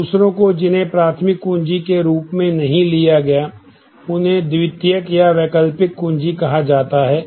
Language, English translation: Hindi, So, the others that are not taken as a primary key are called the secondary or alternate key